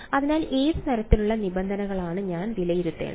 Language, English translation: Malayalam, So, what kind of terms do I have to evaluate